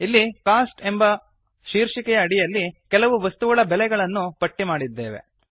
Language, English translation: Kannada, Here, under the heading Cost, we have listed the prices of several items